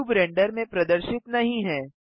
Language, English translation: Hindi, The cube is not visible in the render